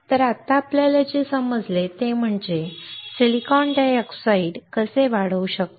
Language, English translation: Marathi, So, right now what we understood is how we can grow silicon dioxide